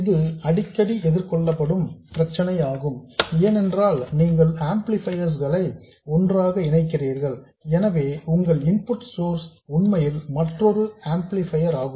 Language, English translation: Tamil, This is a very frequently encountered case because I mean you connect amplifiers together so your input source is really another amplifier